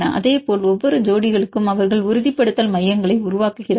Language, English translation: Tamil, Likewise for each pairs they have seen they are forming the stabilization centers